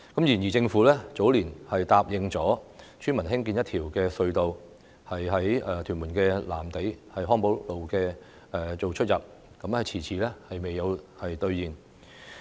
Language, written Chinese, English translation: Cantonese, 然而，政府早年答應村民興建一條隧道，在屯門藍地康寶路作出入口，但遲遲未有兌現。, In the early years the Government promised the villagers to construct a tunnel with the entrance and exit at Hong Po Road Lam Tei Tuen Mun . However the Government has yet to honour its undertaking